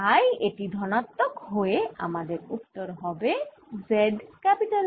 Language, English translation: Bengali, so this will become plus z r